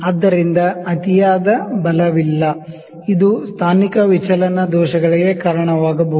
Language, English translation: Kannada, So, no excessive force, it can lead to positional deviation errors